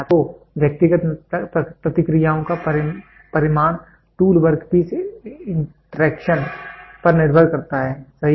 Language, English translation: Hindi, So, the magnitude of individual responses depends upon tool work piece interactions, right